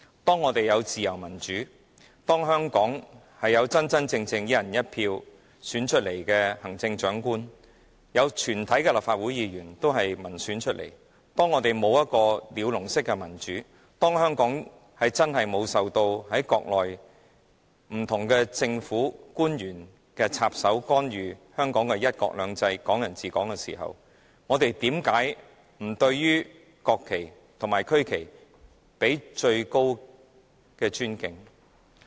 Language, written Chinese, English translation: Cantonese, 當我們享有自由民主，香港真正能"一人一票"選出行政長官，全體立法會議員均由民選產生，我們沒有一個鳥籠式的民主，香港真的沒有受到國內不同政府官員插手干預"一國兩制"、"港人治港"時，我們怎會不對國旗和區旗予以最高的尊敬？, When we enjoy freedom and democracy Hong Kong people can truly elect the Chief Executive by one person one vote all Members of the Legislative Council are returned by direct elections we do not have birdcage democracy and the principles of one country two systems and Hong Kong people ruling Hong Kong are indeed free from any intervention by different government officials in China how will we not give our highest respect to the national and regional flags?